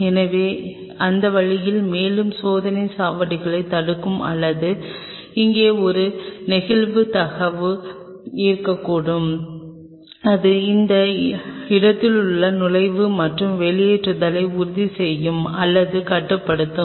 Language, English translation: Tamil, So, that way that will prevent a further level of checkpoint or we could have kind of a sliding door out here which will ensure or restrict entry and the exit along this point